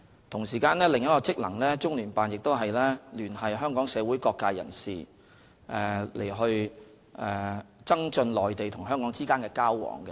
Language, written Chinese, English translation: Cantonese, 同時，中聯辦的另一個職能是聯繫香港社會各界人士，以增進內地與香港之間的交往。, Besides another function of CPGLO is to liaise with various social sectors in Hong Kong with a view to enhancing exchanges between the Mainland and Hong Kong